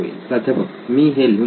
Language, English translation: Marathi, I would write that down